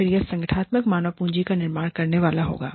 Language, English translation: Hindi, So, that is the organizational human capital